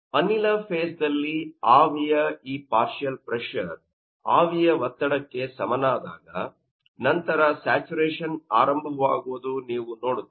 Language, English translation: Kannada, So, this is regarding that saturation we know that that partial pressure will be equal to vapour pressure and after that